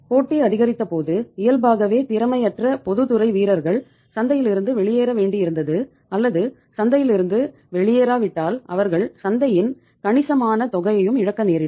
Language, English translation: Tamil, When the competition increased then naturally the inefficient public sector players had to go out of the market or if not to go out of the market they were bound to lose a sizeable amount of the market